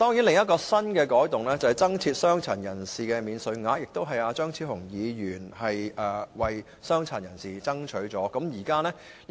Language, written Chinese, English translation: Cantonese, 另一項新改動是增設傷殘人士免稅額，這是張超雄議員為傷殘人士爭取的。, A new change is the introduction of a personal disability allowance for which Dr Fernando CHEUNG has striven for persons with disabilities PWDs